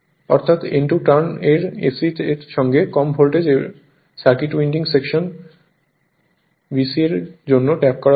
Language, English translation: Bengali, I told you winding section AC with N 2 turns tapped for a lower voltage secondary winding section BC this I told you